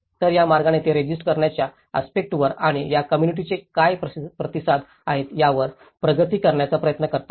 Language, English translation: Marathi, So, in that way, they try to progress to resistance aspect of it and what are the responses of this community